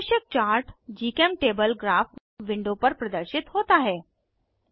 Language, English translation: Hindi, The required chart is displayed on GChemTable Graph window